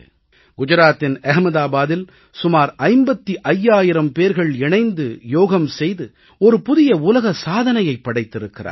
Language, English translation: Tamil, In Ahmedabad in Gujarat, around 55 thousand people performed Yoga together and created a new world record